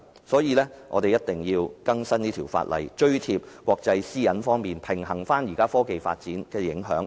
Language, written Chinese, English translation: Cantonese, 所以，我們必須更新這項法例，追貼國際對私隱方面的要求及平衡現時科技發展的影響。, For this reason we must update this ordinance to keep abreast of the requirements in respect of privacy in the international community and balance it against the effects of technological development nowadays